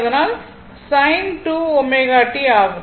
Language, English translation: Tamil, So, sin 2 omega t, right